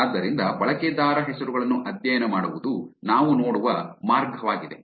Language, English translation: Kannada, So that's the reason why studying usernames is the way that we looked at